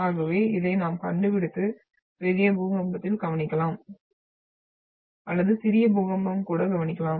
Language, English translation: Tamil, So this is what we find and we observe in big earthquake or even the smaller earthquake occurs on the Earth